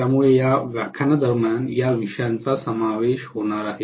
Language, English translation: Marathi, So these are the topics that are going to be covered during this lecture